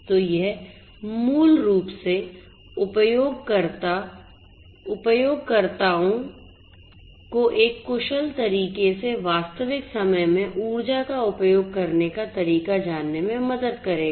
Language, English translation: Hindi, So, this basically will help the users to learn how to use the energy in real time in an efficient manner